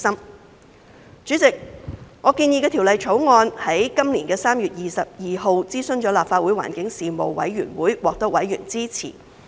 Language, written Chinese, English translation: Cantonese, 代理主席，我建議的《條例草案》於今年的3月22日諮詢立法會環境事務委員會，獲得委員支持。, Deputy President on 22 March 2021 the Panel on Environmental Affairs of the Legislative Council was consulted on the Bill proposed by me and members supported it